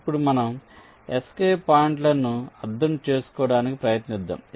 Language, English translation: Telugu, now let us try to understand the escape points